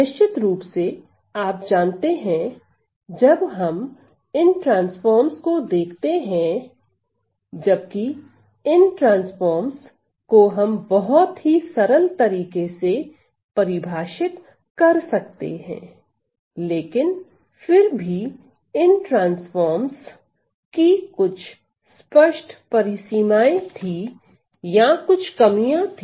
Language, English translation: Hindi, Then you know of course, when we start looking at these transforms, although these transforms were very easy to define, there were some obvious limitations or some deficiencies of these transforms